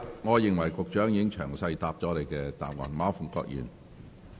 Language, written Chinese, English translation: Cantonese, 我認為局長已詳細回答你的補充質詢。, I think the Secretary has answered your supplementary question in detail